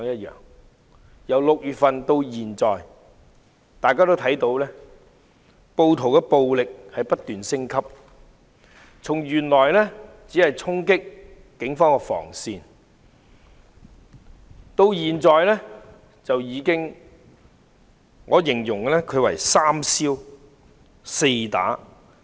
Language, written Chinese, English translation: Cantonese, 由6月份至今，大家看到暴徒的暴力不斷升級，從原來只是衝擊警方防線，現已變成"三燒四打"。, We have seen the escalation of violence by the rioters since June . In the beginning they only tried to break through police cordon